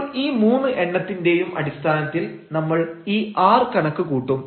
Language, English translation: Malayalam, So, based on these 3 now, we will compute these r